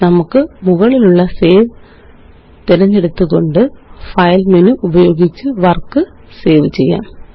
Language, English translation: Malayalam, Let us save our work by using the File menu at the top and choosing Save